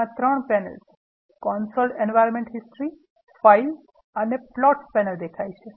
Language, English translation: Gujarati, So, 3 panels console environmental history and files and plots panels are there